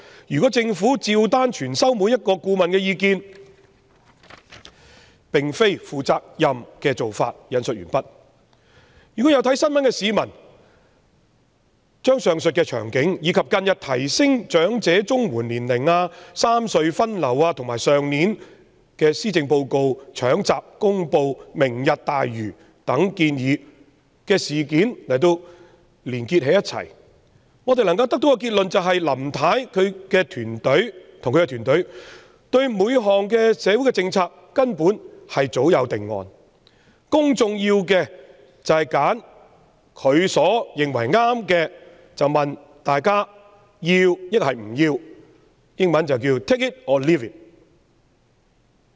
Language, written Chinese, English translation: Cantonese, 如果政府對每個顧問的意見照單全收，並非負責任的做法。"有留意新聞的市民如將上述場景、近日提高申領長者綜合社會保障援助的年齡、三隧分流，以及去年施政報告"搶閘"公布"明日大嶼"等建議的事件串連起來，能夠得出的結論是林太與其團隊對各項社會政策根本早有定案，公眾要做的只是就她認為正確的選項選擇"要或不要"，英文即 "take it or leave it"。, unquote If members of the public who have kept an eye on the news link together such events as the aforesaid episodes the recent measure to raise the eligibility age for elderly Comprehensive Social Security Assistance the rationalization of traffic distribution among the three road harbour crossings and the announcement of proposals like the half - baked Lantau Tomorrow programme in the Policy Address last year they should be able to draw the conclusion that Mrs LAM and her team actually have a predetermined idea in mind . For an option that she thinks is correct the public need only to choose whether to take it or leave it